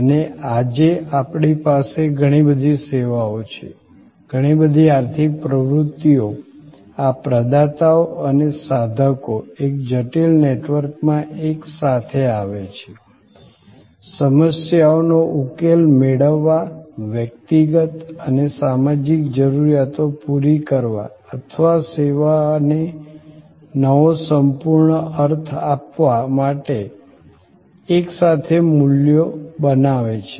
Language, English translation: Gujarati, And we have many, many services today, many, many economic activities were this providers and seekers coming together in a complex network, creating values together to solve problems, to meet individual and social needs or giving a new complete meaning to the way service is perceived